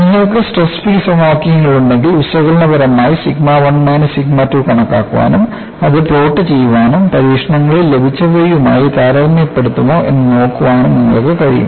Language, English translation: Malayalam, If you have the stress field equations, you would be in a position to calculate analytically sigma 1 minus sigma 2 and plot it and see, whether it compares with whatever that is obtained in the experiments